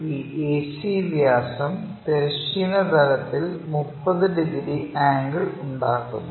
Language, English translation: Malayalam, This AC diameter is making 30 degrees angle with the horizontal plane